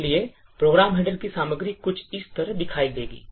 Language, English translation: Hindi, So, the contents of a program header would look something like this